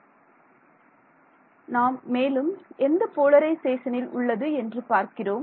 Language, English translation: Tamil, So, we are looking at again which polarization